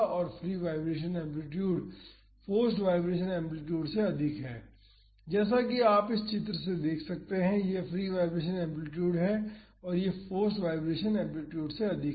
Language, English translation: Hindi, And, the free vibration amplitude is higher than the forced vibration amplitude, as you can see from this figure; this is the free vibration amplitude and it is higher than the force vibration amplitude